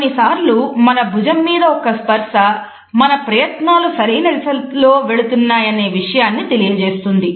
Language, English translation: Telugu, Sometimes we find that a single touch on the forearm tells us that our efforts are moving in the correct direction